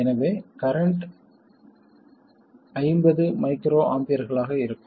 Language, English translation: Tamil, The current will be 50 microamper